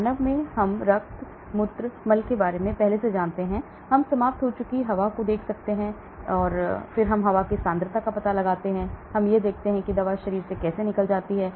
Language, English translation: Hindi, In human, we look at the blood, we look at the urine, we look at faeces, we look at expired air, and then we find out concentration of the drug, and then we see how the drug gets removed from the body